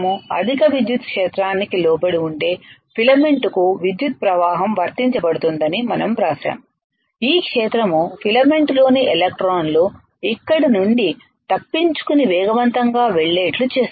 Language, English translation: Telugu, We have written that an electric current is applied to the filament which is subjected to high electric field, this field causes electrons in the filament to escape here and accelerate away